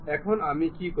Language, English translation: Bengali, Now, what I will do